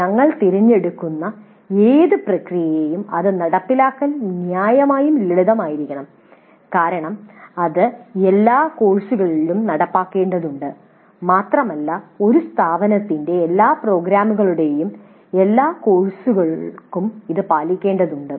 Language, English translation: Malayalam, Whatever process we select that must be reasonably simple to implement because we need to implement it across all the courses and it must be followed for all the courses of all programs of an institution